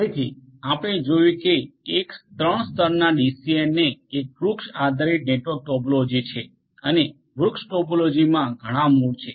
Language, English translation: Gujarati, So, a 3 tier DCN as we have seen has a tree based network topology and there are multiple roots in the tree topology